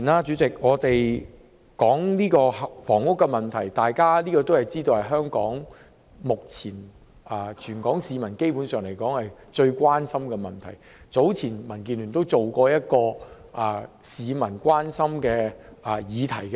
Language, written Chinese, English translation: Cantonese, 主席，房屋問題基本上是全港市民目前最關心的問題，民建聯早前曾進行一個關於市民關心議題的調查。, President the housing problem is basically the greatest concern to all people in Hong Kong at present . DAB has previously conducted a survey about issues of concern to the people